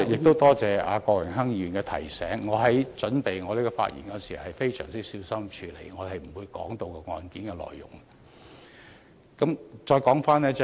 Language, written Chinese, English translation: Cantonese, 多謝郭榮鏗議員的提醒，我準備有關發言時，也非常小心處理，我不會提及案件內容。, I thank Mr Dennis KWOK for the reminder . I have been cautious in preparing this speech . I will not touch upon the facts of the cases